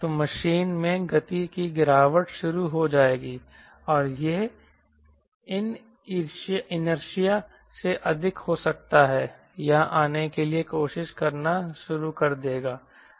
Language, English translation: Hindi, so machine will start decelerating and it will start trying to come here it may exceed by inertia